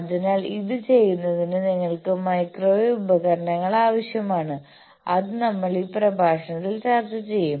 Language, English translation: Malayalam, So, to do this you require those tools of microwaves which we will discuss in this lecture